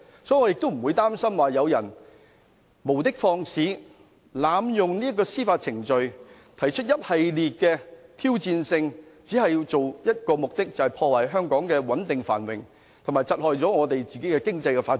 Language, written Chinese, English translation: Cantonese, 所以，我不擔心有人無的放矢，濫用司法程序，提出一系列挑戰，但卻只有一個目的，就是要破壞香港穩定繁榮，以及窒礙本港的經濟發展。, Therefore I am not worried about these groundless abuse of the judicial system . By posing these challenges they aim only to jeopardize Hong Kongs prosperity and stability and impede Hong Kongs economic development